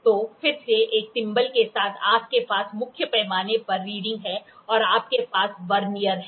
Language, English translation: Hindi, So, again same with a thimble, you have a main scale reading and you have a Vernier